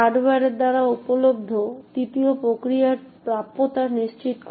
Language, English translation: Bengali, The third mechanism which is provided by the hardware ensures availability